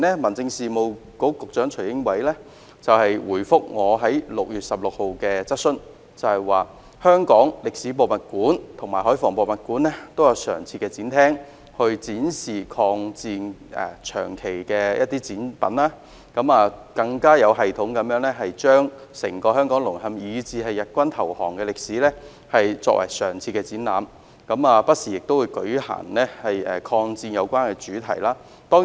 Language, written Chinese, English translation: Cantonese, 民政事務局局長徐英偉早前在6月16日回覆我提出的質詢時指出，香港歷史博物館和香港海防博物館均設有常設展廳，長期展示與抗戰有關的展品，更有系統地將整個香港淪陷，以至日軍投降的歷史作為常設展覽，也不時舉辦與抗戰有關的專題展覽。, In his reply to my question on 16 June Secretary for Home Affairs Caspar TSUI pointed out that both the Hong Kong Museum of History and the Hong Kong Museum of Coastal Defence have featured exhibits relating to the War of Resistance in their permanent exhibition galleries for long - term display . They have also held permanent exhibitions systematically on the entire part of history from the fall of Hong Kong to the surrender of the Japanese army and thematic exhibitions relating to the War of Resistance have also been staged from time to time